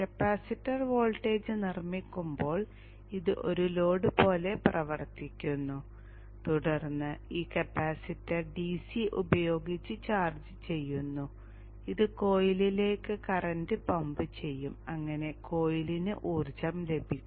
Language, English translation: Malayalam, As the capacitor voltage builds up up this acts like load and then charges of this capacitor, this capacitor to the DC and it will pump current into the coil so that the coil gets energized